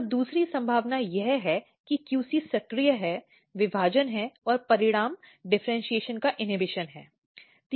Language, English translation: Hindi, And second possibility is that QC is actually activating, division and the result is inhibition of differentiation